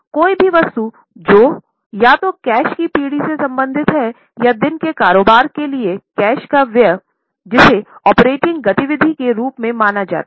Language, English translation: Hindi, So, any item which is related to either generation of cash or expenditure of cash on day to day business which is considered as operating activity